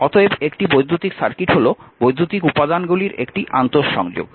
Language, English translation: Bengali, Therefore, an electric circuit is an interconnection of electrical elements